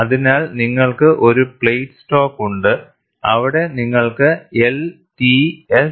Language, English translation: Malayalam, So, you have a plate stock, where you have the axis marked as L, T as well as S